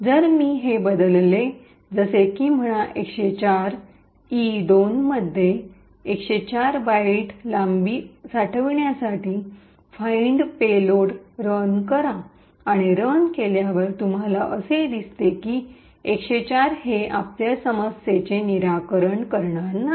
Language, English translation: Marathi, If I change this to say 104, run the fine payload, store the length of E2 of 104 byte is in E2 and run it you see that it works so 104 is not going to solve our problem